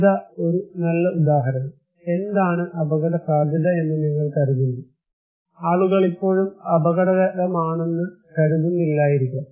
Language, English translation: Malayalam, Here is a good example; what do you think as risky, people may not think is risky